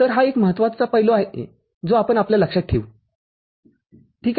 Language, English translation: Marathi, So, this is one important aspect which we shall keep in our mind – ok